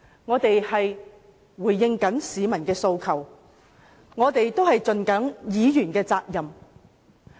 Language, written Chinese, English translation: Cantonese, 我們只是回應市民的訴求，善盡議員的責任。, We are just responding to the peoples demand and fulfilling our duty as Members